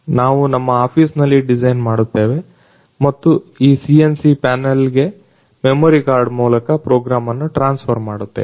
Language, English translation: Kannada, We design it in our office and transfer the program to this CNC panel through the memory card